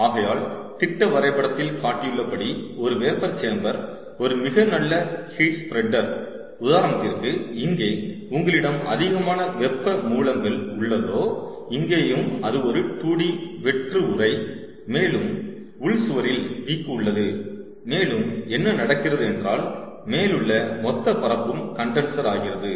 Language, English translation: Tamil, ok, so, as a shown in the schematic, a vapor chamber can be a very nice heat spreader, for example, where, if you have multiple sources of heat here also its a two d hollow case, ah casing and with with ah, a wick along the internal wall, and what is happening is the entire ah surface at the top is the condenser